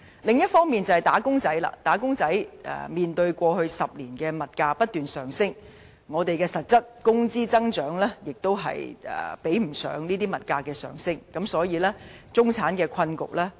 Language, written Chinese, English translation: Cantonese, 最後，"打工仔"面對過去10年物價不斷上升，但實質工資增長卻追不上物價升幅，所以中產面對的困局不輕。, At last as increases in real salaries were not able to catch up with continuous rises in price level over the last decade the middle class have been encountering a considerable amount of difficulties